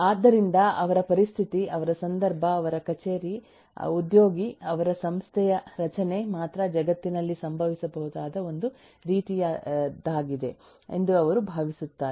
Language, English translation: Kannada, so they will think that their situation, their context, their office, their employee, their organisation structure is the only one of the kind that can happen in the world